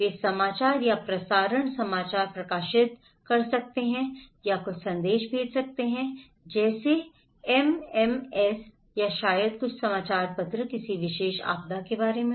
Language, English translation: Hindi, They can publish news or broadcast news or some send message like SMS or maybe some newsletters about a particular disasters